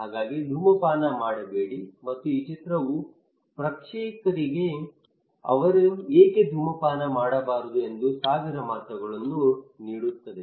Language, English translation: Kannada, So do not smoke and this picture gives thousand words to the audience that why they should not smoke